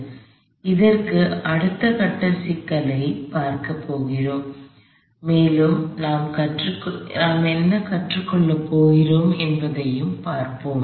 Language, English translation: Tamil, So, we are going to add a next level of complexity to this and let see what we learn